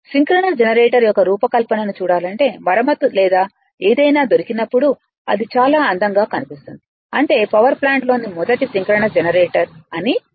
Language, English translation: Telugu, There if you to see your what you call the design of this synchronous generator I mean, when the repair is or something you will find it look so beautiful that you are what you call that is a in first synchronous generator in the power plant right